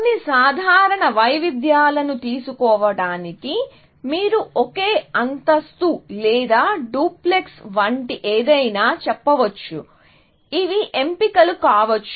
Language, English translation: Telugu, So, just to take some simple variations, you might say something, like single storey or a duplex; these might be choices